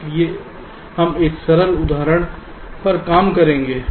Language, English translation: Hindi, so we shall be working out a simple example